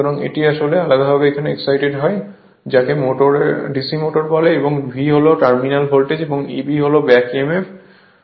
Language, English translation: Bengali, So, this is your separately excited your what you call DC motor, and V is the terminal voltage, and your E b is the back emf